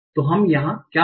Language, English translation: Hindi, So that's what we have seen